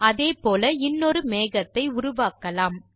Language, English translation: Tamil, Let us create one more cloud in the same manner